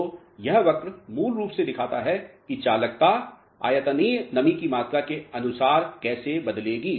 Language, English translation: Hindi, So, this curve basically shows how conductivity will vary with respect to volumetric moisture content